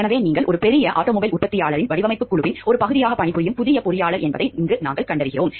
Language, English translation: Tamil, So, till here what we find like you are a new engineer who are working as a part of the design team for a large automobile manufacturer